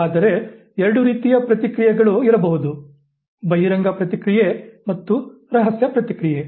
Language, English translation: Kannada, But there could be two types of responses, the overt response and the covert response